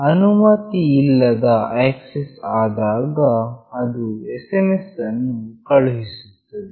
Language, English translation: Kannada, Whenever an unauthorized access takes place, it will send SMS